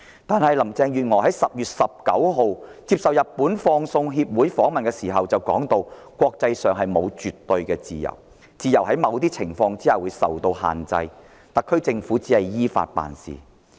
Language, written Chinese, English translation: Cantonese, 然而，林鄭月娥在10月19日接受日本放送協會訪問時指出，國際間沒有絕對的自由，自由在某些情況下會被限制，而特區政府只是依法行事。, But when Carrie LAM was interviewed by the Japanese television station NHK on 19 October she pointed out that there was no absolute freedom per se internationally and freedom would have certain restrictions in some circumstances . She said that the SAR Government was merely acting in accordance with the law